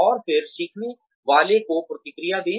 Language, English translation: Hindi, And then, give feedback to the learner